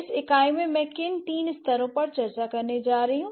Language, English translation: Hindi, So, what are the three levels that I'm going to discuss in this unit